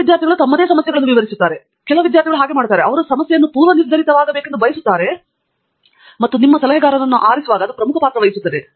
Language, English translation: Kannada, Some students enjoy the defining their own problems, some students don’t; they want the problem to be predefined and that plays an important role in choosing your advisor